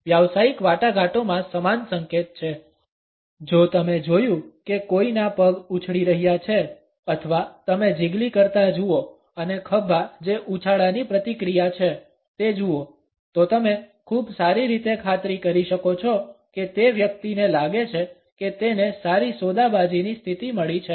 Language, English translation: Gujarati, In business negotiations there is a similar signal; if you notice someone’s feet bouncing or you see the jiggling and the shoulders that is a reaction from that bounce; you can be pretty much assured that that person feels that he is got a good bargaining position